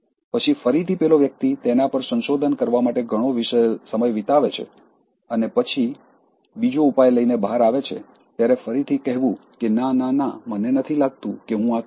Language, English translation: Gujarati, Then again, the person spends a lot of time to research on that and then comes out with another solution, again saying that no, no, no I don’t think I will do this